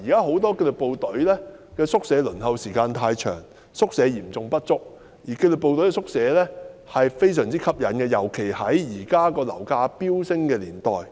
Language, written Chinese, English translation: Cantonese, 很多紀律部隊目前輪候宿舍的時間太長，宿位嚴重不足，而紀律部隊的宿舍非常吸引，尤其在現時樓價飆升的年代。, For many disciplined forces the current waiting time for quarters is excessively long amid the acute shortage whereas the disciplined services quarters are very attractive especially in the current era of soaring property prices